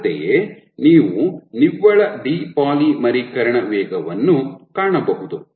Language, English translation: Kannada, Similarly, you can find net depolymerization rate